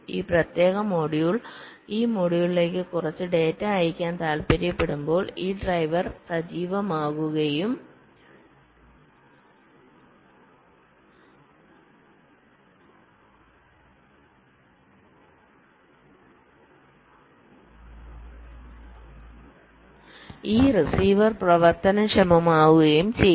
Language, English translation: Malayalam, let say, when this particular module once to sends some data to this module, then this driver will be activated and this receiver will be enabled